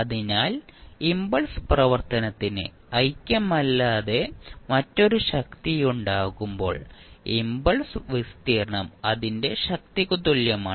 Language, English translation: Malayalam, So, when the impulse function has a strength other than the unity the area of the impulse is equal to its strength